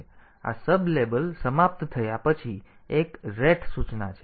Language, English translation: Gujarati, So, after this sublabel is over, there is a ret instructions